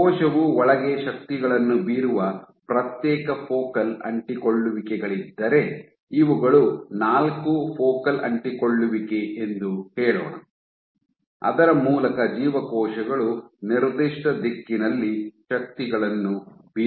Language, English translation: Kannada, So, if there were individual focal adhesions through which the cell is exerting forces inside if let us say these are four focal adhesion through which cells are exerting forces in the given direction